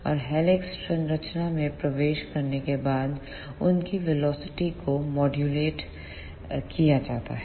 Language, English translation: Hindi, And after entering into the helix structure, their velocity is modulated